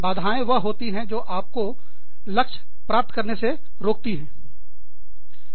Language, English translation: Hindi, Hindrances are things, that prevent you from, reaching your goal